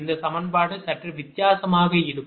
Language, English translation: Tamil, this equation will be slightly changed